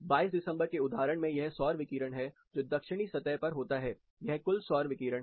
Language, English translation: Hindi, On the instance of December 22nd this is the solar radiation which occurs on the Southern surface, this is the total solar radiation